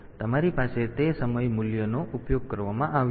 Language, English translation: Gujarati, So, you have that time value has been used